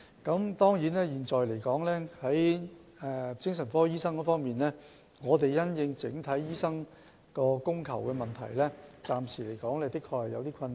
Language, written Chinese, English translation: Cantonese, 關於精神科醫生能否應付整體精神科服務需求的問題，暫時的確有點困難。, Regarding whether the number of psychiatric doctors can meet the overall demand for psychiatric services there are certainly some difficulties at present